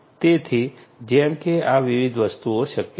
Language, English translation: Gujarati, So, like these different things are possible